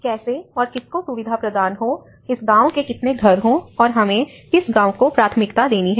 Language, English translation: Hindi, How to facilitate whom, how many houses for this village and which village we have to give priority